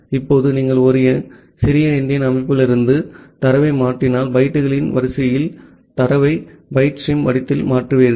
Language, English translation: Tamil, Now, if you are transferring data from a little endian system, you will transfer the data in the form of a byte stream in the sequence of bytes